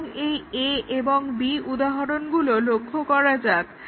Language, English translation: Bengali, Let us look at this examples A and B